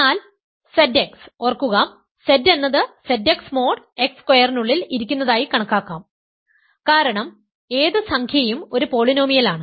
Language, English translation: Malayalam, But remember Z x; Z can be thought of as sitting inside Z x mod x squared, because any integer is a polynomial right by it is a constant polynomial